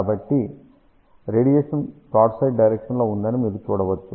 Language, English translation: Telugu, So, you can see that the radiation is in the broadside direction